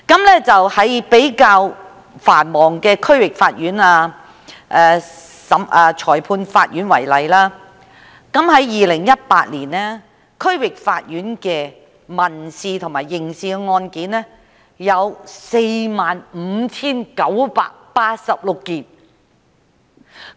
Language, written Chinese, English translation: Cantonese, 以比較繁忙的區域法院及裁判法院為例，在2018年，區域法院的民事和刑事案件有 45,986 宗。, Take the quite heavy - loaded DCs and Magistrates Courts as examples . In 2018 the criminal and civil cases in DCs totalled 45 986 in number